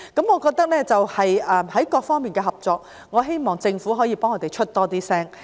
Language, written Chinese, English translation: Cantonese, 我希望在各方面的合作上，政府可以替我們更常發聲。, I hope the Government can voice out our thoughts on various areas of cooperation more often for us